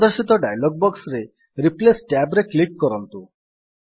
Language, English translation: Odia, In the dialog box that appears, click on the Replace tab